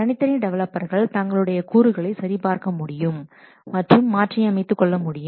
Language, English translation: Tamil, The individual developers, they check out the components and modify them